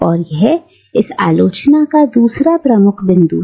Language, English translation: Hindi, And this is the second major point of this criticism